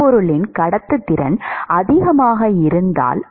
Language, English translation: Tamil, If the conductivity of the solid is high